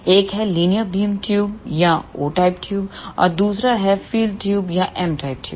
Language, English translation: Hindi, One is linear beam tube or O type tube and the second one is crossed field tubes or M type tubes